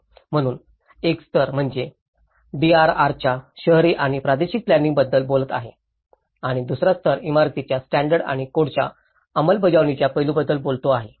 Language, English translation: Marathi, So, which is one level is talking about the urban and regional planning of it the DRR and the second level is talking about the implementation aspects of building standards and codes